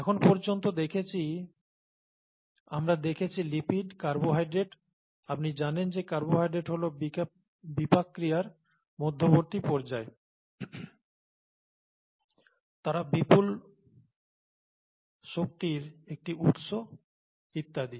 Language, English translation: Bengali, We have so far seen lipids, carbohydrates, carbohydrates as you know are intermediates in metabolism, they are a large energy stores and so on so forth